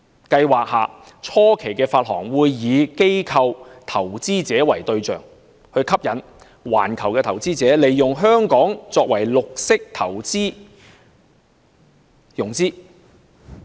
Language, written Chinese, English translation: Cantonese, 計劃下初期的發行會以機構投資者為對象，以吸引環球投資者利用香港作為綠色投融資的中心。, The initial tranches under the Programme should target institutional investors to attract international investors to use Hong Kong as a centre for green financing and investing